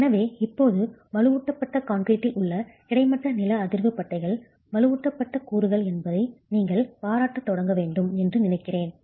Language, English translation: Tamil, So, now I think you should start appreciating the fact that the horizontal seismic bands in reinforced concrete are reinforced elements